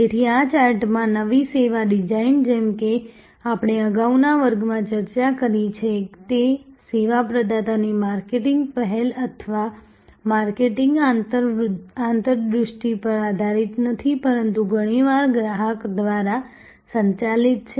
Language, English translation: Gujarati, So, new service design in this chart as we discussed in the previous class were based on not so much on marketing initiatives or marketing insights of the service provider, but very often driven by the customer